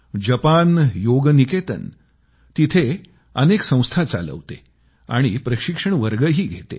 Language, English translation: Marathi, Japan Yoga Niketan runs many institutes and conducts various training courses